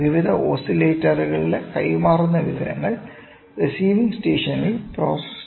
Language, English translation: Malayalam, The information transmitter through various oscillators is processed at receiving station